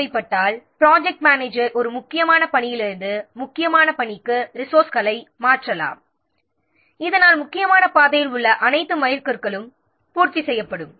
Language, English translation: Tamil, So, if necessary a project manager may switch resources from a non critical tax to critical tax so that all milestones along the critical path are made